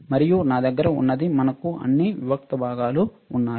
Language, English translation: Telugu, And what we have is, we have all the discrete components